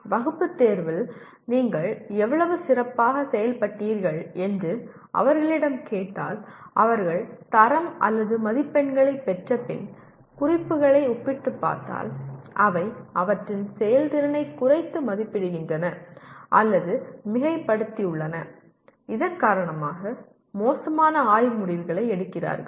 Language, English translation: Tamil, If you ask them how well you have performed in the class test and compare notes after they have actually obtained their grade or marks it is found that they either underestimate or overestimate their performance and because of all these they make poor study decisions